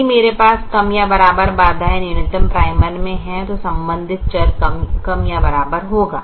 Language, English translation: Hindi, if i have less than or equal to constraint in the minimization primal, the corresponding variable will be less than or equal to